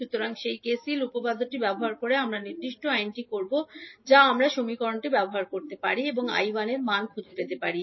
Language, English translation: Bengali, So using that KCL theorem we will the particular law we can utilize the equation and find out the values of I 1